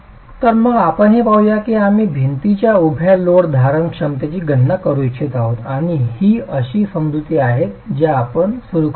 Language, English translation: Marathi, We want to calculate the vertical load bearing capacity of the wall and these are the assumptions that we begin with